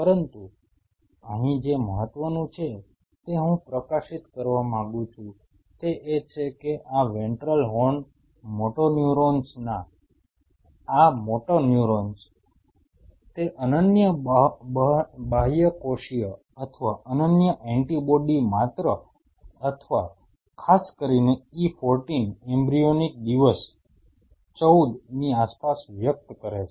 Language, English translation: Gujarati, But what is important here I wanted to highlight is that, these ventral horn motoneurons these large motoneurons express that unique the unique extracellular or unique antibody at only or at specifically at around E14 embryonic day 14